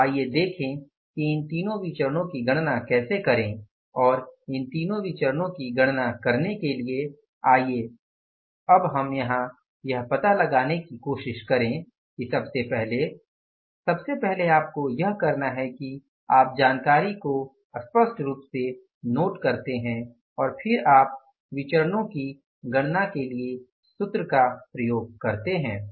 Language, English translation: Hindi, So, let's see how to calculate these three variances and for calculating these three variances let's now try to find out here as first of all what you have to do is you note down the information clearly and then you go for applying the formula and calculating the information